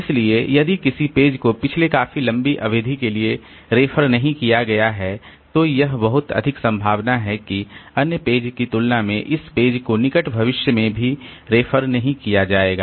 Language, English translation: Hindi, So, if a page has not been referred to for the longest period of time then it is very much likely that compared to other pages